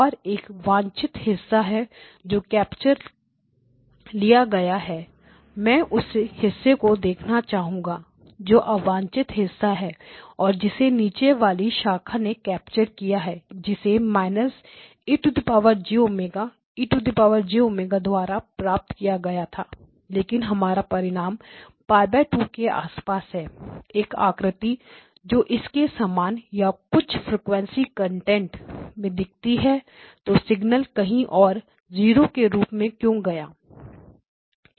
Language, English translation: Hindi, And there is a desired portion that is captured I want to look at what is the undesired part that is captured by the lower branch the undesired portion that is captured by the lower branch is represented by X1 minus e of j omega times F1 e of j omega and that turns out to be also centered around Pi by 2, a shape that looks like this and another 1 that also is in the frequency content now why does the signal go to zero elsewhere